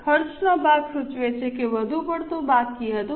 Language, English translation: Gujarati, Expenditure part indicates that excess spending was done